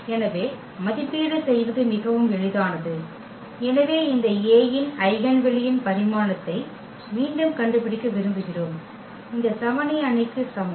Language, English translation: Tamil, So, very simple to evaluate so we have, we want to find the dimension again of the eigenspace of this A is equal to this identity matrix